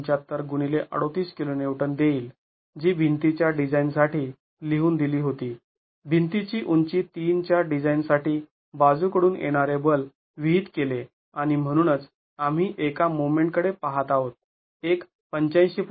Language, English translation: Marathi, 75 into 38 kiloons was what was prescribed for the design of the wall, prescribed lateral force for the design of the wall, height 3 and therefore we are looking at a moment of an overturning moment of 85